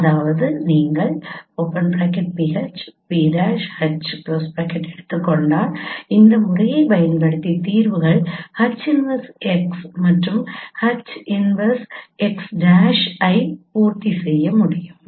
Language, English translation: Tamil, That means if you take pH and p prime H using this method, the solutions will also satisfy H inverse x and H inverse x